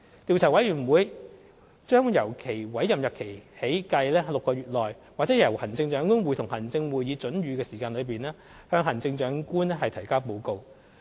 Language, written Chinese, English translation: Cantonese, 調查委員會將由其委任日期起計6個月內，或由行政長官會同行政會議准予的時間內，向行政長官提交報告。, The Commission will submit a report to the Chief Executive within six months from the date of its appointment or such time as the Chief Executive in Council may allow